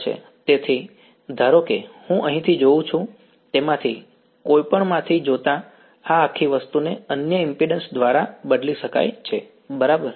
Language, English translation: Gujarati, So, looking from either of suppose I look from here, this whole thing can be replaced by another impedance right